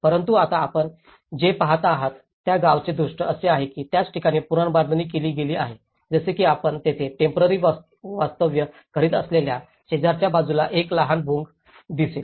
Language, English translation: Marathi, But now, what you are seeing is a view of the village which has been reconstructed at the same places like you can see a small Bhongas next to it where they were living temporarily